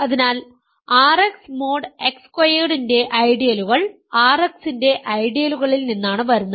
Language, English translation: Malayalam, So, ideals of R X mod X squared come from ideals of R X